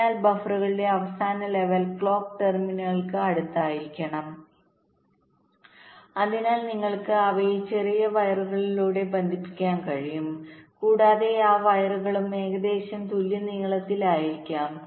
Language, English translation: Malayalam, so the last level of buffers should be close to the clock terminals so that you can connect them by shorter wires, and those wires also should also be approximately equal in length